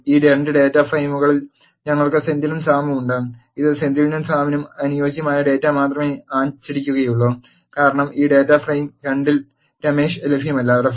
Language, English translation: Malayalam, In this 2 data frames we have Senthil and Sam present, it will print only the data that is corresponding to the Senthil and Sam, because Ramesh is not available in this data frame 2